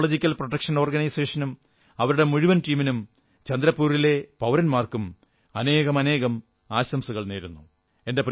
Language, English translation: Malayalam, I congratulate Ecological Protection Organization, their entire team and the people of Chandrapur